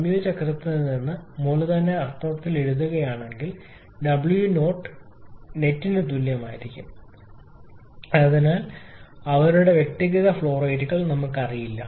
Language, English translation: Malayalam, From the combined cycle if I write in capital W dot net that will be equal to actually we do not know their individual flow rates